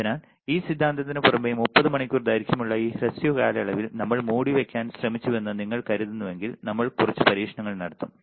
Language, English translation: Malayalam, So, lot of things if you really think we have tried to cover in this short duration of 30 hours apart from this theory like I said we will also do few experiments